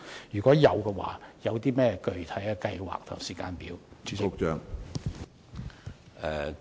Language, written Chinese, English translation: Cantonese, 如會，當局的具體計劃及時間表為何？, If it will what are its specific plans and time table?